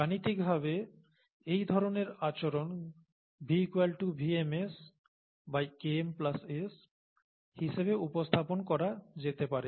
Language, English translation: Bengali, Mathematically, this kind of behaviour can be represented as V equals to some VmS by Km plus S